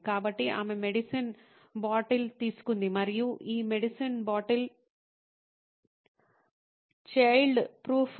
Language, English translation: Telugu, So, she took the bottle of medicine and this bottle of medicine is child proof